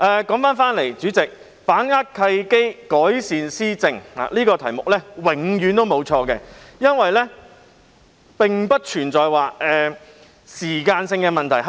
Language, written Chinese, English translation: Cantonese, 主席，說回議案，"把握契機，改善施政"這個題目永遠不會錯，因為改善施政並不存在時間性問題。, President let me return to the motion . Seizing the opportunities to improve governance is a topic that is always appropriate because improving governance is a timeless issue